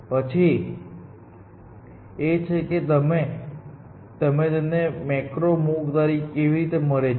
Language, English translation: Gujarati, The question is; how do you get macro move